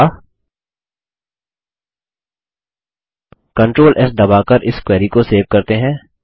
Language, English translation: Hindi, Next, let us save this query, by pressing Control S